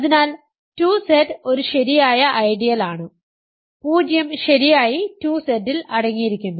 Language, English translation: Malayalam, So, and 2Z is a proper ideal, 0 is properly contained in 2Z